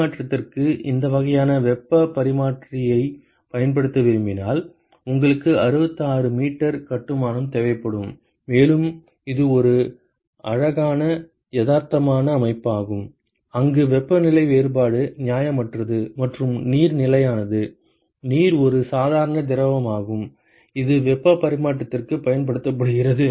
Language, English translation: Tamil, You would require 66 meters of construction if you want to use this kind of a heat exchanger for exchange and this is a pretty realistic system where the temperature difference not unreasonable, and water is a constant; water is a very normal fluid which is used for heat exchange